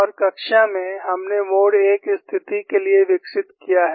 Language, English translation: Hindi, And that is what you see for the mode 1 situation